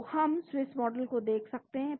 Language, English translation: Hindi, So, we can look at Swiss Model